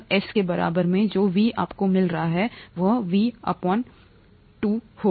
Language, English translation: Hindi, At S equals Km, the V that you find, would be Vmax by 2, okay